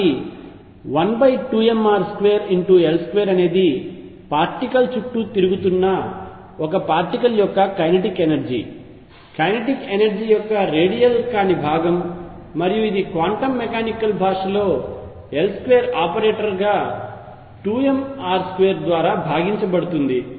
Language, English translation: Telugu, So, L square over 2 m r square is the kinetic energy of a particle going around in an orbit the non radial component of the kinetic energy and that rightly is expressed in the quantum mechanical language as L square operator divided by 2m r square